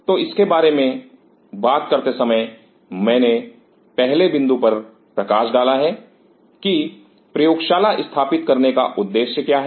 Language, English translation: Hindi, So, while talking about it I highlighted upon the first point is, what is the objective of setting up the lab